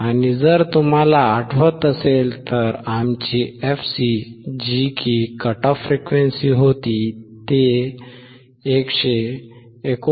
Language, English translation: Marathi, And if you remember our fc is 159